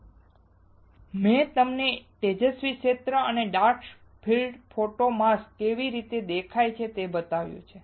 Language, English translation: Gujarati, Now, I have shown you bright field and dark field photo mask and how it looks